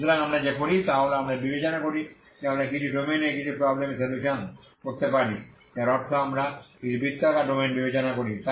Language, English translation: Bengali, So what we do is we consider we can solve certain problems in some domains that means let us consider some circular domain